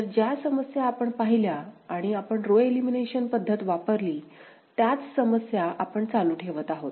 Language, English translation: Marathi, So, the problem that we had seen and we used row elimination method, the same problem we are continuing with ok